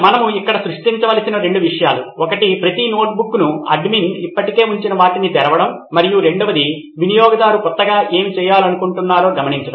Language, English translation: Telugu, Two things we’ll have to create here, one is the opening each notebook what the admin has already put up into this and two is the new notetaking what a user would want to do